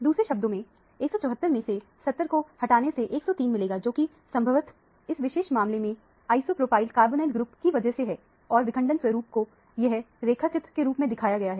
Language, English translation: Hindi, In other words, 174 minus 71 correspond to 103, which probably is due to the isopropyl carbonyl group in this particular case and the fragmentation pattern is represented schematically here